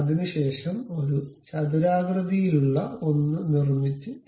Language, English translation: Malayalam, After that, construct a rectangular one and rotate it